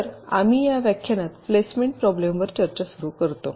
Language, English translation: Marathi, so we start our discussion on the placement problem in this lecture